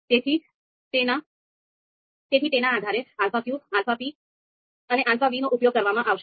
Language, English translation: Gujarati, So based on that the alpha q and alpha p and alpha v are going to be used